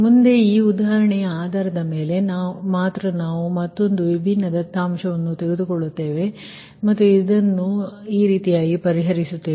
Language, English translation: Kannada, next, based on this example only, we will take another ah, some different data, and we will solve this one